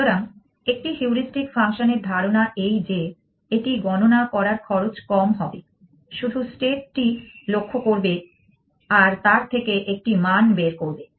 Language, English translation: Bengali, So, the idea of a heuristic function in that it should be computationally cheap pieces just look at the state and get a value out of it